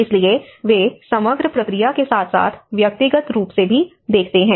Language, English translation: Hindi, So, they look at the overall process as well as individual